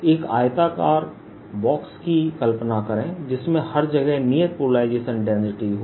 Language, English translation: Hindi, imagine a rectangular box which has constant polarization density allover